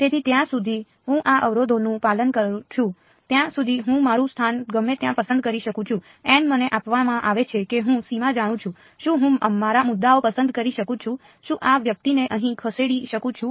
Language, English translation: Gujarati, So, I can pick my location anywhere as long as I am obeying these constraints, n hat is given to me I know the boundary, can I pick my points very very can I move this guy over here